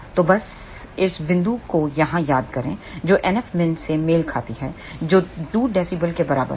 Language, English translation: Hindi, So, just recall this point here corresponds to NF min which is equal to 2 dB